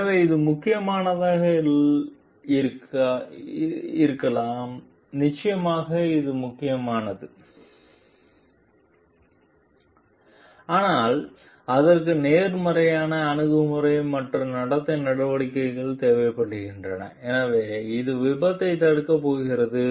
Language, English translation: Tamil, So, it may be important definitely it is important, but it requires a positive attitude and action of behavior so which is going to prevent accident